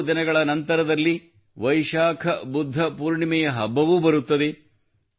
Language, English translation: Kannada, A few days later, the festival of Vaishakh Budh Purnima will also come